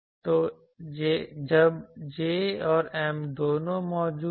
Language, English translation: Hindi, So, when both J is present and M is present